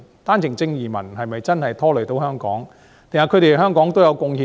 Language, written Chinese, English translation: Cantonese, 單程證移民是否真的拖累了香港，還是對香港也有貢獻呢？, Are OWP entrants really a burden to Hong Kong? . Or have they also made contribution to Hong Kong?